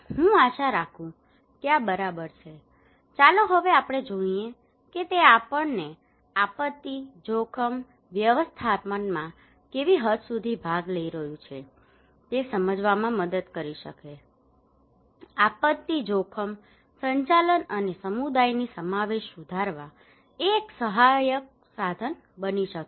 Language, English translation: Gujarati, I hope this is fine, now let us look that can it really help us to understand what extent how people are participating in disaster risk management, can it be a helpful tool for us to improve disaster risk management and community involvement